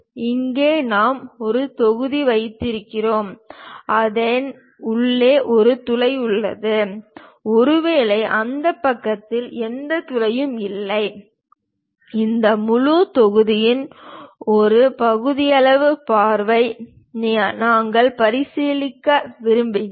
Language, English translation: Tamil, Here we have a block, which is having a hole inside of that; perhaps there is no hole on this side and we will like to consider a sectional view of this entire block